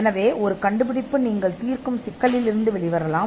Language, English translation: Tamil, So, in an invention could come out of a problem that you solve